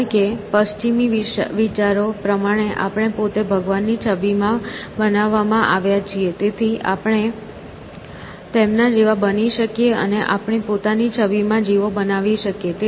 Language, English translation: Gujarati, Because in western thought we have been created in the image of god himself, and so, we can be like him and create creatures in our own image